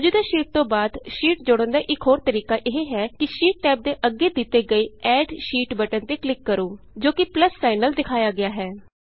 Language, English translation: Punjabi, Another simple way of inserting a sheet after the current sheet is by clicking on the Add Sheet button, denoted by a plus sign, next to the sheet tab